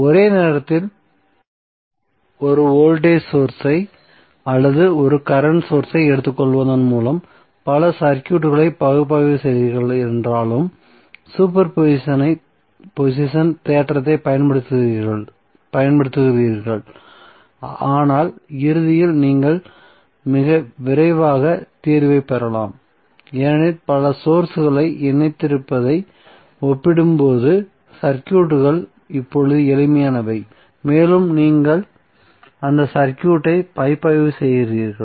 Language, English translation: Tamil, So using super position theorem all though you are analyzing multiple circuits by taking 1 voltage source or 1 current source on at a time but eventually you may get the solution very early because the circuits are now simpler as compare to having the multiple sources connected and you are analyzing that circuit